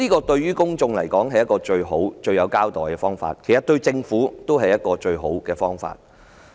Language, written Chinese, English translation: Cantonese, 對公眾而言，這是最好的方法向他們作出交代，其實對政府來說也是最好的方法。, To the public it is the best approach to give them an account and as far as the Government is concerned it is the best approach as well